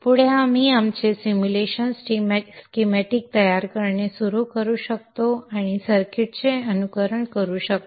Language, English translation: Marathi, Next we can start on building our simulation schematics and simulate the circuits